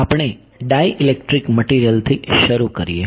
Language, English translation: Gujarati, So, we will start with dielectric materials ok